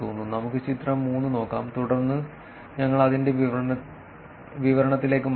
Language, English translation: Malayalam, Let us look at figure 3, and then we will go back to the description of it